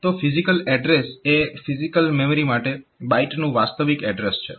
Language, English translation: Gujarati, So, physical address is the address the actual address of the bytes for the physical memory